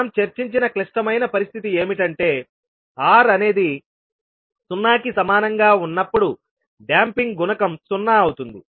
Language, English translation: Telugu, The critical condition which we discussed was that when R is equal to 0 the damping coefficient would be 0